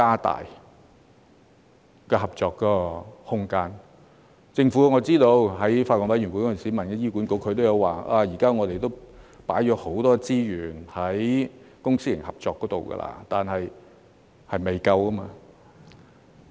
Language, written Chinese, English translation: Cantonese, 我知悉政府在法案委員會上曾詢問醫管局，他們表示已投放很多資源在公私營合作方面，但事實是仍未足夠。, I noted that the Government had asked HA at the Bills Committee meeting and they said that a lot of resources had been allocated for public - private partnership but the fact was that it was still inadequate